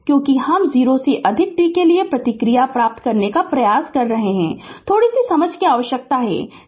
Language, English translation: Hindi, Because, it is we are trying to obtain the response for t greater than 0, little bit understanding is required